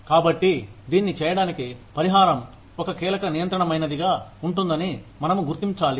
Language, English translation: Telugu, So, in order to do this, we need to recognize that, compensation is going to be a pivotal control